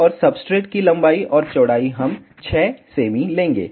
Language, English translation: Hindi, And the substrate length and width we will be taking 6 centimeters